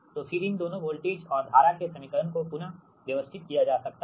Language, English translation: Hindi, you rearrange this equation for voltage and currents can be rearranged